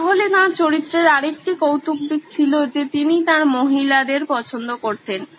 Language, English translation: Bengali, So, another quirk of his character was that he’d loved his ladies